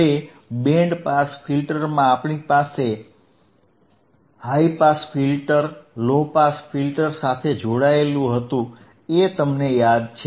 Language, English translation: Gujarati, Now, in the band pass filter, we had high pass band pass band pass filters